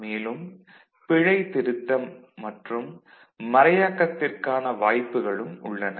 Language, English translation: Tamil, There are options for the error correction and the encryption